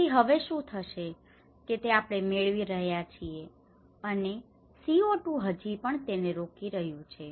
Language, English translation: Gujarati, So, now what is happening is now we are getting, and the CO2 is still blocking it